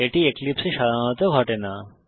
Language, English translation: Bengali, It does not happens usually on Eclipse